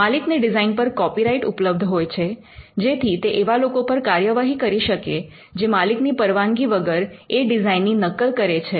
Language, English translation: Gujarati, The owner has a copyright in the design, which means the owner can take action against other people who make copies of it without his consent